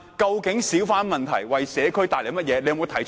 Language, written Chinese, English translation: Cantonese, 究竟小販為社區帶來了甚麼問題？, What problems have hawkers brought to the communities?